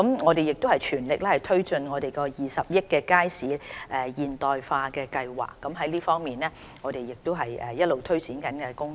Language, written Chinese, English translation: Cantonese, 我們亦全力推進20億元的"街市現代化計劃"，這亦是我們一直推展中的工作。, We will press full steam ahead with the 2 billion Market Modernisation Programme which is also one of the projects we have been implementing